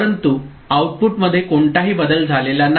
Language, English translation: Marathi, But no change in the output has taken place